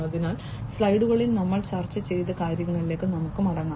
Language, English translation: Malayalam, So, let us just go back to what we were discussing in the slides